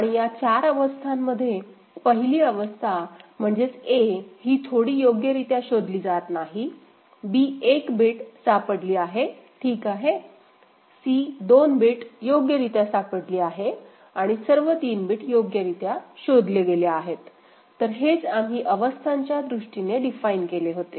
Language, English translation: Marathi, And the 4 states were defined in this manner that a, that is initial state, no bit is detected properly, b 1 bit is detected ok, c was 2 bit detected properly and d was all 3 bits have been detected properly ok, so that is what we had defined in terms of the states, right